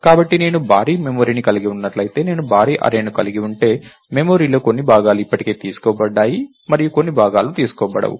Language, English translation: Telugu, So, if I have a huge array if I have a huge memory, its possible that some portions of the memory are already taken and some portions are not